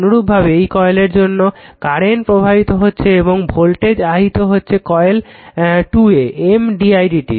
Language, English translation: Bengali, Similarly because of this coilthat current I is flowing a voltage will be induced in just 2 coil M d i by d t